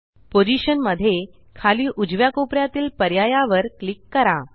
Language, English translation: Marathi, In Position, click the bottom right corner option